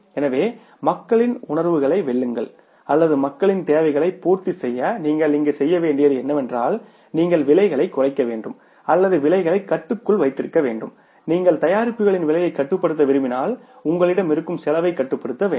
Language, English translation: Tamil, So, to win over the sentiments of the people or to fulfill the requirements of the people what you have to do here is you have to reduce the prices or keep the prices under control and if you want to control the prices of the products you will have to control the cost